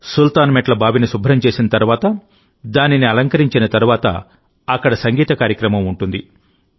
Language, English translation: Telugu, After cleaning the Sultan's stepwell, after decorating it, takes place a program of harmony and music